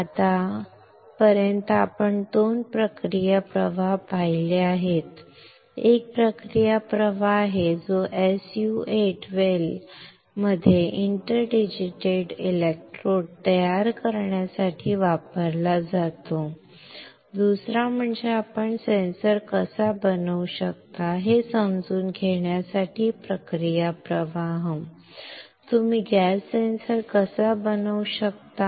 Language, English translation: Marathi, Now, until now we have seen two process flow: one is the process flow that is used for creating interdigitated electrodes in SU 8 well, second is the process flow for understanding how you can fabricate a sensor; how you can fabricate a gas sensor